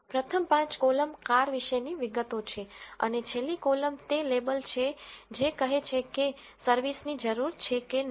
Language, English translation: Gujarati, First five columns are the details about the car and the last column is the label which says whether a service is needed or not